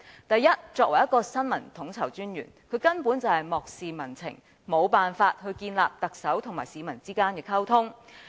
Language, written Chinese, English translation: Cantonese, 第一，身為新聞統籌專員，他完全漠視民情，無法建立特首和市民之間的溝通。, First of all as the Information Coordinator he has completely ignored public sentiments and failed to enhance communication between the Chief Executive and the general public